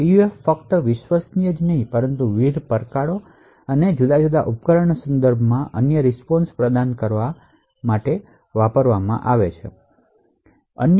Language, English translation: Gujarati, The PUF should not only be reliable but also, should provide unique responses with respect to different challenges and different devices